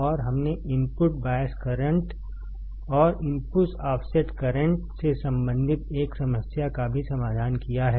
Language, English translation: Hindi, And we have also solved one problem related to the input bias current and input offset current